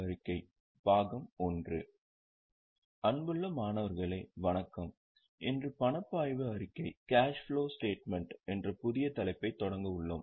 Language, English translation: Tamil, Dear students, Namaste, today we are going to start one very exciting and new topic that is titled as Cash Flow Statement